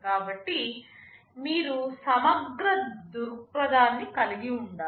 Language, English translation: Telugu, So, you will have to take a holistic view